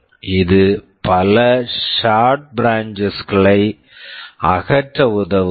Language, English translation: Tamil, This helps in removing many short branches